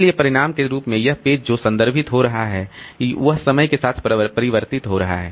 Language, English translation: Hindi, So, as a result, the pages that it is referring to changes over time